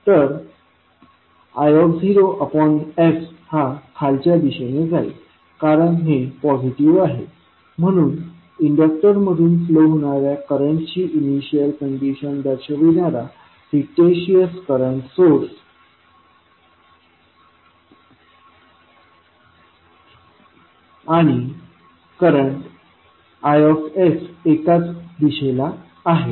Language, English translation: Marathi, So, I naught by s the direction will be downward because it is positive so, current i s will give you the same direction for fictitious current source which you will add form representing the initial condition of current flowing through the inductor